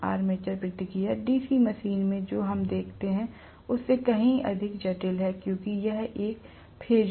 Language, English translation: Hindi, Armature reaction here is much more complex than what we see in a DC machine because it is a phasor, right